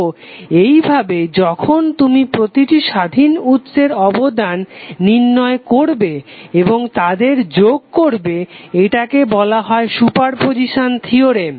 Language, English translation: Bengali, So in this way when you determine the contribution of each independence source separately and then adding up is called as a super position theorem